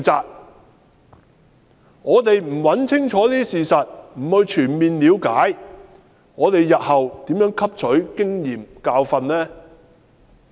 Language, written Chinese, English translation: Cantonese, 如果我們不清楚找出事實及全面了解事情，試問日後如何汲取經驗和教訓呢？, If we do not find out the truth clearly and gain a full understanding of the case how can we learn from our experience and learn a lesson for the future?